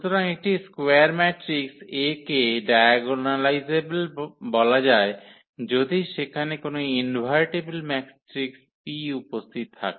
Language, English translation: Bengali, So, A square matrix A is said to be diagonalizable if there exists an invertible matrix P